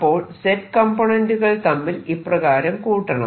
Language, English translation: Malayalam, what i'll do is i'll calculate the z component and add it